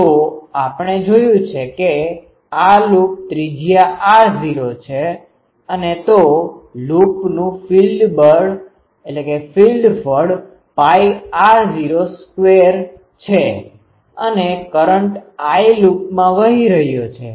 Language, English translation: Gujarati, So, as we have seen that this loop radius is r naught and so, the area of the loop is pi r naught square and a current I is flowing in the loop